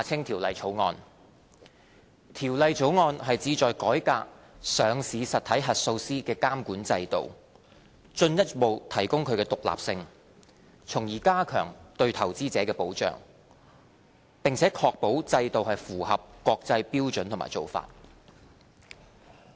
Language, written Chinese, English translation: Cantonese, 《條例草案》旨在改革上市實體核數師的監管制度，進一步提高其獨立性，從而加強對投資者的保障，並且確保制度符合國際標準和做法。, The Bill aims to reform the regulatory regime for auditors of listed entities and further enhance its independence so as to enhance investor protection and ensure that the regime is benchmarked against international standards and practices